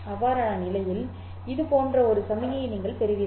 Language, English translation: Tamil, In that case you will get signal which would look like this